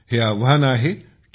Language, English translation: Marathi, The challenge is T